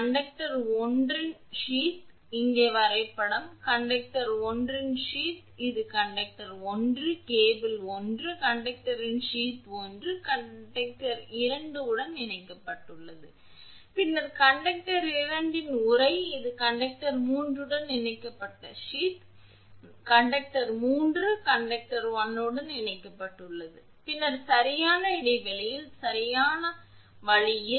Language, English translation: Tamil, The sheath of conductor 1, here diagram is here sheath of conductor 1, this is the conductor 1, cable 1, sheath of conductor 1 connected to conductor 2 then sheath of conductor 2 that is the sheath of connected to conductor 3 and sheath of conductor 3 connected to conductor 1, then that way at regular interval, at suitable intervals